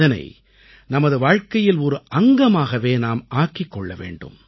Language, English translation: Tamil, We'll have to make it part of our life, our being